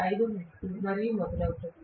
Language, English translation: Telugu, 5 hertz and so on